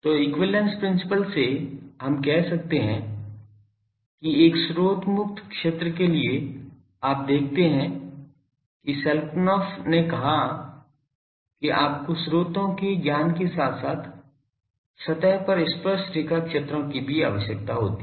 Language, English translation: Hindi, So, from equivalence principle we can say; that for a source free region you see Schelkunoff said that you require the knowledge of sources as well as the tangential fields at the surface